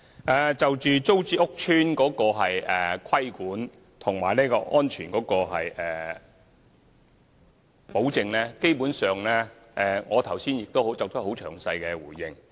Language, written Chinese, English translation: Cantonese, 關於租置計劃屋邨的規管及安全保證，基本上，我剛才已詳細回應。, In relation to the regulation and safety guarantee for TPS estates I have basically given a detailed response